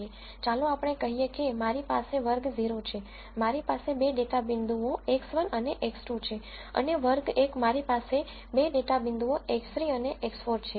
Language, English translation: Gujarati, Let us say I have class 0, I have 2 data points X 1 and X 2 and class 1, I have 2 data points X 3 and X 4